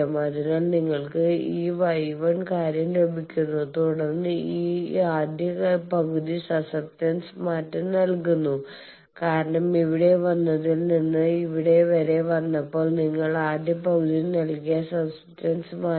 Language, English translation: Malayalam, So, you are getting this Y 1 thing and then this change of susceptance is given by the first half because from coming here to here you have changed the susceptance that was given by the first half